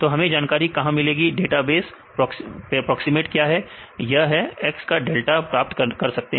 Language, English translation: Hindi, So, where shall we get the information, what is the database proximate right we can get this delta of x